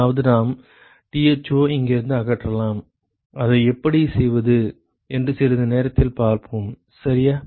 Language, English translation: Tamil, That is we could eliminate Tho from here we will see how to do that in a short while, ok